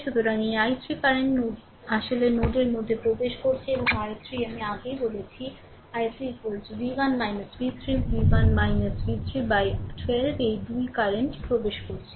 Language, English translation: Bengali, So, this i 3 current actually entering into the node and i 3 I told you earlier that i 3 is equal to v 1 minus v 3 v 1 minus v 3 by 12 these 2 currents are entering right